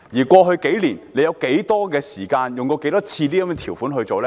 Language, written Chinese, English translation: Cantonese, 過去數年，政府曾多少次引用過這些條款？, How many times has the Government invoked such provisions in the past few years?